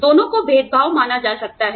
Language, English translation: Hindi, Both, can be considered as, discrimination